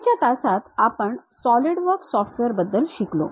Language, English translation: Marathi, In the earlier classes we have learned about Solidworks software